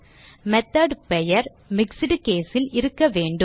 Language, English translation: Tamil, The method name should be the mixed case